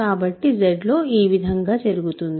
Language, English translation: Telugu, So, in Z, this what is this what happens